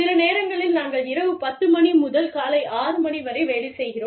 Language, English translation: Tamil, Sometimes, we work from say, 10 in the night, till 6 in the morning